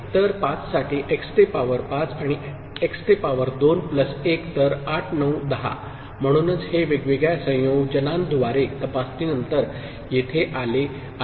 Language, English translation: Marathi, So, for 5, x to the power 5 plus x to the power 2 plus 1; so, 8 9 10, so this is what has been arrived at after checking with different combinations